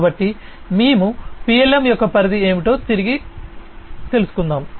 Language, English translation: Telugu, So, we will going back what is the scope of PLM